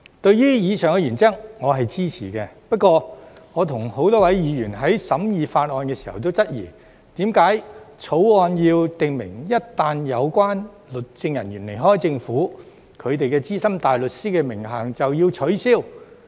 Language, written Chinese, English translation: Cantonese, 對於以上原則，我是支持的；不過，我與多位議員在審議法案時均質疑，為何《條例草案》要訂明一旦有關律政人員離開政府，他們的資深大律師名銜便要取消。, I support the above principle . However during the scrutiny of the Bill many Members and I queried why the Bill stipulated that the SC title of legal officers shall be revoked once they leave the Government